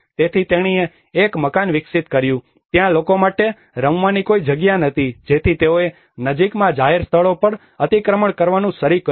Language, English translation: Gujarati, So then she developed a house, there were no place for people to play around so they have started encroaching the public places nearby